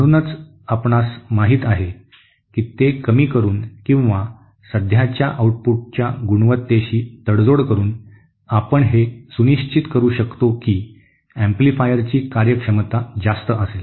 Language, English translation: Marathi, So that is how you know we can so by reducing the or by compromising on the quality of the current output, we can ensure that the efficiency of the amplifier is high